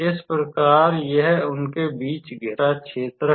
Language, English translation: Hindi, So, this is the area bounded between them